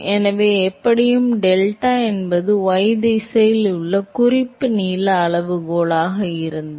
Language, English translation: Tamil, So, anyway, if delta is the reference that is the reference length scale in y direction